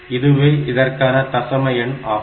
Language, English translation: Tamil, So, this is the decimal number system